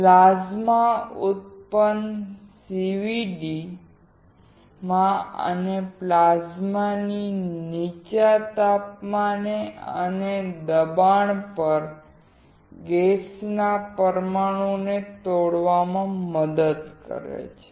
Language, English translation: Gujarati, In plasma enhanced CVD, plasma helps to break up gas molecules at low temperature and pressure